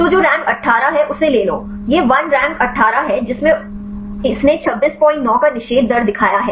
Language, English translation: Hindi, So, take the one which rank 18; this is the one rank 18 this showed the inhibition rate of 26